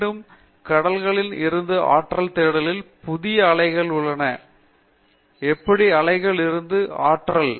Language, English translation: Tamil, Again the quest for energy from the oceans, we have the new areas, how to tap energy from the waves